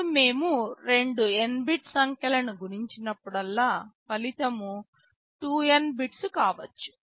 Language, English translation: Telugu, Now, you know whenever we multiply two n bit numbers the result can be 2n bits